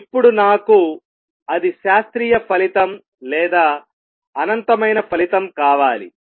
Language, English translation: Telugu, Now I need to that is the classical result or intend to infinite result